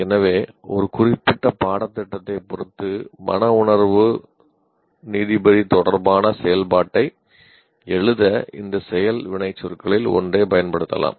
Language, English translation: Tamil, So one can use any of these action verbs to write to an activity related to affective judge with respect to a specific course